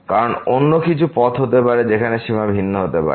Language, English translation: Bengali, Because there may be some other path where the limit may be different